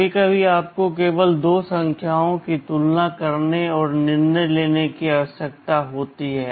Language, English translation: Hindi, Sometimes you just need to compare two numbers and take a decision